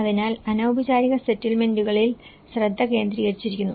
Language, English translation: Malayalam, So, the focus has been very much focus on the informal settlements